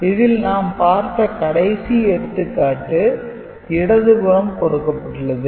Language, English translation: Tamil, So, the example that was discussed is over here in the left hand side